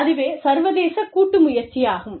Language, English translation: Tamil, So, that is an international joint venture